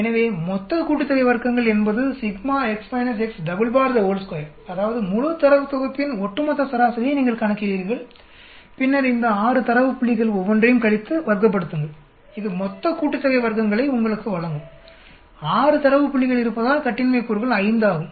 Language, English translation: Tamil, So the total sum of squares is equal to x minus x double bar square that means you calculate the overall mean of the entire data set and then you subtract each of these 6 data points, subtract, square it that will give you the total sum of squares and then degrees of freedom is 5 because there are 6 data points